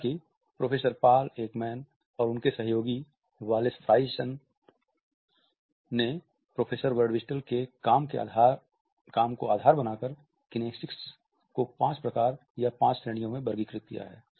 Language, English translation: Hindi, However, Professor Paul Ekman and his colleague Wallace Friesen have built on Professor Birdwhistell’s work and they have classified kinesics into five types or five categories